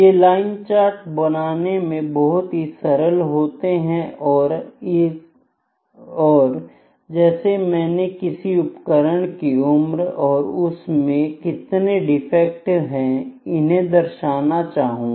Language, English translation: Hindi, Now, line charts are just drawn simply like this for instance I am having age of the instrument and number of defects, ok